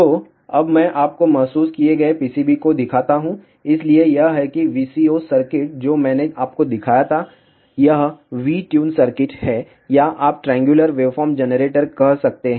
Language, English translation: Hindi, So, let me now show you the realized PCB, so this is that VCO circuit which I had shown you, this is the V tuned circuit or you can say triangular waveform generator